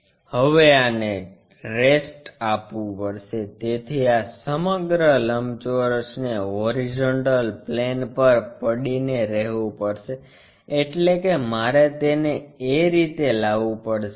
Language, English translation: Gujarati, Now, this one has to rest, so this entire rectangle has to rest on the horizontal plane, so that means, I have to bring it in that way